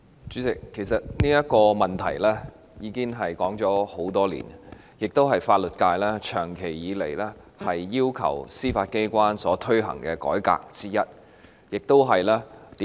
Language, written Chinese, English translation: Cantonese, 主席，這個問題其實已經討論多年，這亦是法律界長期以來要求司法機關推行的改革之一。, President actually we have been discussing this issue for years and this is also one of the reforms the legal profession has long been requesting implementation by the Judiciary